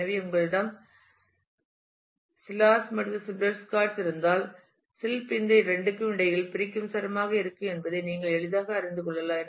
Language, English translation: Tamil, So, if you have Silas and Silberschatz then you can easily make out that Silb would be a separating string between these two